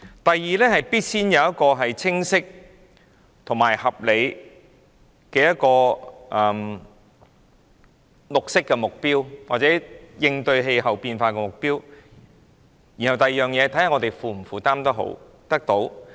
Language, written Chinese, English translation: Cantonese, 第二，必須首先有一個清晰及合理的綠色目標或應對氣候變化的目標，然後看看能否負擔得到。, Secondly first of all we must have a clear and reasonable green objective or target in addressing climate change and then examine if it is affordable